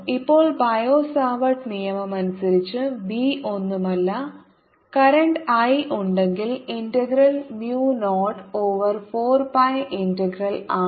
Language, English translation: Malayalam, according to bio savart law, b is nothing but integral of mu zero over four pi integral